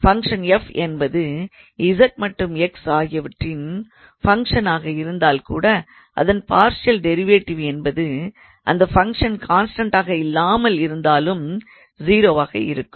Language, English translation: Tamil, So, even if the function f is a function of z and x only it is partial derivative can still be 0 without the function of being a constant